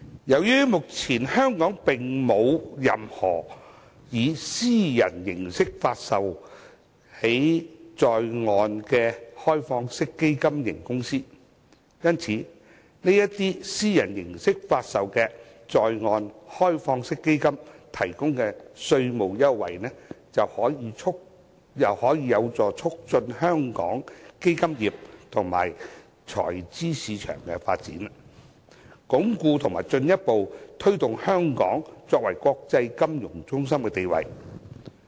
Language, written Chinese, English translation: Cantonese, 由於香港目前並沒有任何以私人形式發售的在岸開放式基金型公司，為這些以私人形式發售的在岸開放式基金提供稅務優惠，將有助促進香港基金業及財資市場的發展，鞏固和進一步推動香港作為國際金融中心的地位。, As there is currently no onshore privately offered OFC in Hong Kong the provision of tax incentive to onshore privately offered open - ended funds will help promote the development of the fund industry and capital market of Hong Kong as well as reinforce and further consolidate Hong Kongs status as an international financial centre